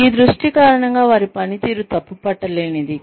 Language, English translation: Telugu, Because of this focus, their performance is impeccable